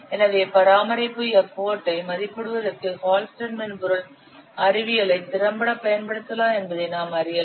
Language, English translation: Tamil, So one thing we have known that Hullstead software science can be used effectively for estimating what maintenance effort